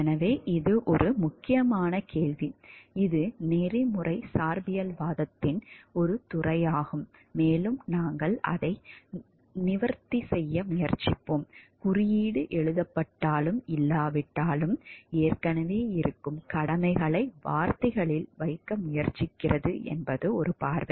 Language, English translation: Tamil, So, this is a critical question which the which is a field of ethical relativism and we will try to address it, one view is that codes try to put into words obligations that already exist whether or not the code is written